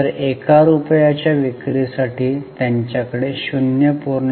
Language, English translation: Marathi, So, for one rupee of sales they had 0